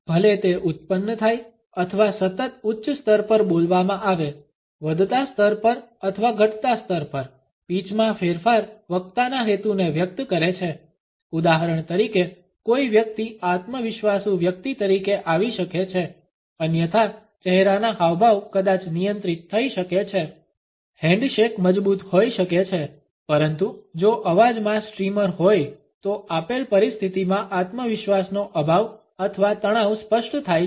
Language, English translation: Gujarati, Whether it is produced or a spoken at a continuous high level, a rising level or at a falling level, pitch variation expresses the intention of the speaker, for example, a person may come across otherwise as a confident person, the facial expressions maybe control the handshake may be strong, but if the voice has streamers then the lack of confidence or tension in the given situation becomes apparent